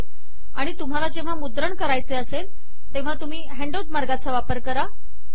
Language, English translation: Marathi, And if you want to take a printout, use the handout mode